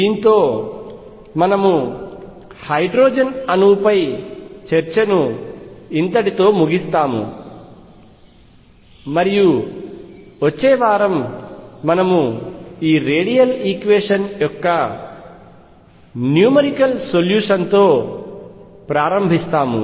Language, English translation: Telugu, With this we stop the discussion on hydrogen atom, and next week we will begin with numerical solution of this radial equation